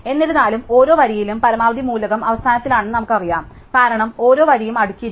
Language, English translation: Malayalam, However, we do know that in every row the maximum element is at the end, because each row is sorted